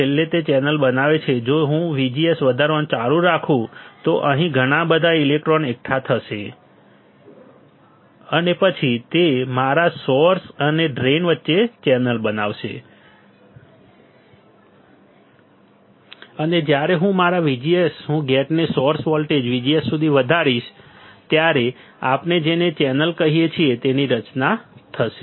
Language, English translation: Gujarati, Finally, it forms the channel if I keep on increasing VGS then lot of electrons will be accumulated here, and then it will form a channel between my source and my drain, and there will be a formation of what we call channel, when my VGS I keep on increasing the gate to source voltage VGS